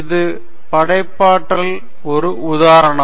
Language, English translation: Tamil, This is also an instance of creativity